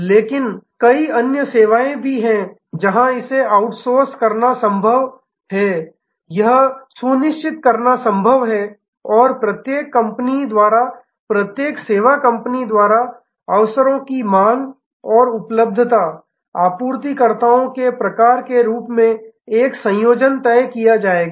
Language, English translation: Hindi, But, there are various other services, where it is possible to outsource it is possible to insource and a combination will be decided by each company each service company as the occasions demand and as kind of suppliers available partners available